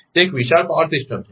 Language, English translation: Gujarati, It is a huge power system